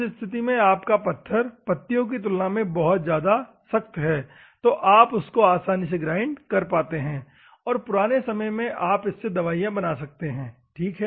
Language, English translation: Hindi, In those circumstances, your rock is much harder, compared to your leaves, that is why you can grind properly, and you can make the medicine in the olden days, ok